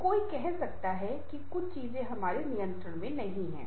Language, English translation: Hindi, so one can say that certain things are not in your control